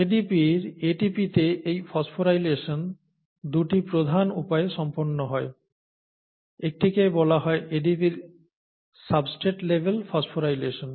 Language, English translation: Bengali, This phosphorylation of ADP to ATP is carried out by 2 major means; one is called substrate level phosphorylation of ADP